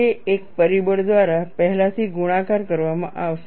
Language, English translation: Gujarati, It will be pre multiplied by a factor here